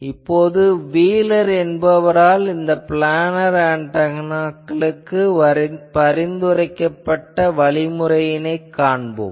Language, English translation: Tamil, But now I will say a very important a think method that was suggested by wheeler for this planar antennas